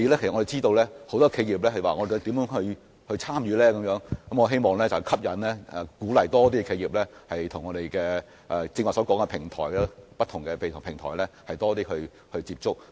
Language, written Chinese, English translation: Cantonese, 我們知道很多企業也想知道如何參與這些活動，我希望可以吸引及鼓勵更多企業，多些與我剛才提及的不同平台接觸。, We know that many enterprises wish to know how to participate in these activities . I hope more enterprises will be attracted and encouraged to make more contact with the different platforms mentioned by me just now